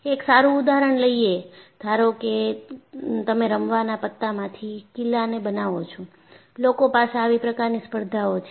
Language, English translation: Gujarati, A good example is, suppose you make a castle out of the playing cards; people have such competitions